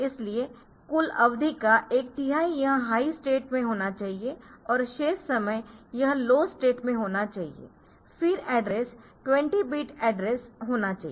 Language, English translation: Hindi, So, it is point so one third of the club duration, it should be in high state and the remaining time it should be in the low state, then the address is 20 bit address